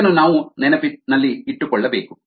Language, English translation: Kannada, this we need to keep in mind